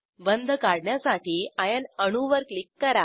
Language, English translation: Marathi, Click on iron atom to draw a bond